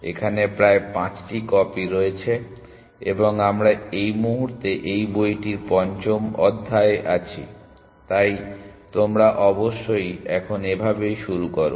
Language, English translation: Bengali, There are about 5 copies and we are in chapter 5 of this books at this moment, so you should catch up with that essentially